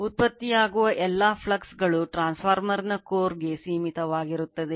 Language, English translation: Kannada, All the flux produced is confined to the core of the transformer